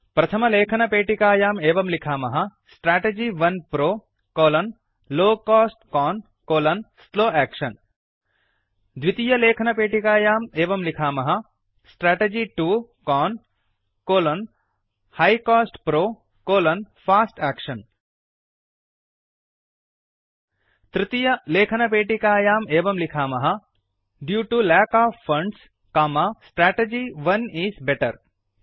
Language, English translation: Sanskrit, In the first text box type: Strategy 1 PRO: Low cost CON: slow action In the second text box type: Strategy 2 CON: High cost PRO: Fast Action In the third text box type: Due to lack of funds, Strategy 1 is better